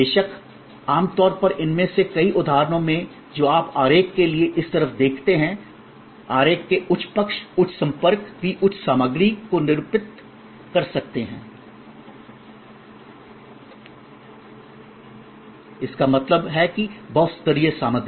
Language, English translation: Hindi, Of course, usually in many of these instances which you see on this side of the diagram, the high side of the diagram, the high contact may also denote high content; that means multi layered content